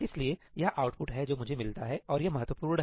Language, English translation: Hindi, So, this is the output that I get and here is the important part